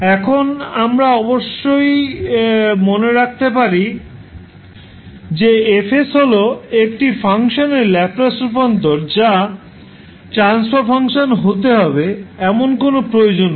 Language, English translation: Bengali, Now, we have to keep in mind that F s is Laplace transform of one function which cannot necessarily be a transfer function of the function F